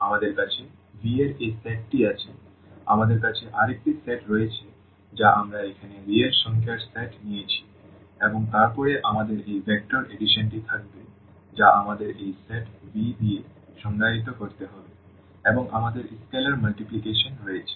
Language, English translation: Bengali, We have this set of V, we have another set which we have taken here the set of real numbers and then we will have this vector addition which we have to define with this set V and we have scalar multiplication